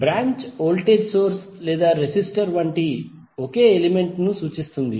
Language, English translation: Telugu, Branch represents a single element such as voltage source or a resistor